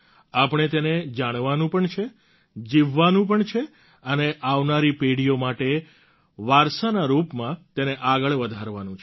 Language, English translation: Gujarati, We not only have to know it, live it and pass it on as a legacy for generations to come